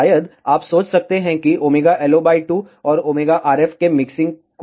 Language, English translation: Hindi, You might wonder what happens to the mixing of omega LO by 2 and omega RF